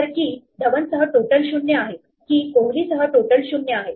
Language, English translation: Marathi, So, total with key Dhawan is 0, total with key Kohli is 0